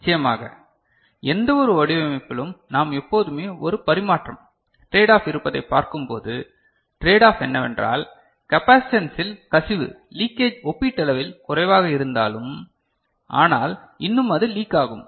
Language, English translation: Tamil, Of course, as we see in any design there is always a tradeoff, the tradeoff is that what we just noted that the capacitance though the leakage is you know, these can be relatively small, but still it leaks